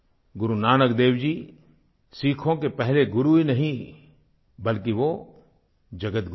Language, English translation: Hindi, Guru Nanak Dev ji is not only the first guru of Sikhs; he's guru to the entire world